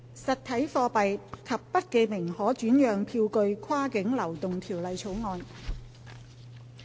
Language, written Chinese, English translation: Cantonese, 《實體貨幣及不記名可轉讓票據跨境流動條例草案》。, Cross - boundary Movement of Physical Currency and Bearer Negotiable Instruments Bill